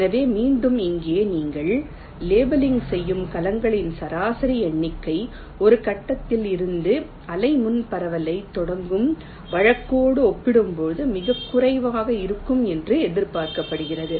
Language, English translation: Tamil, so again here, the average number of cells you will be leveling will is expected to be matchless, as compared to the case where you start the wavefront propagation from one point